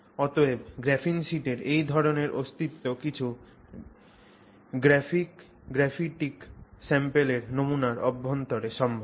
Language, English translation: Bengali, So, this kind of existence of graphene sheets is possible inside some graphic samples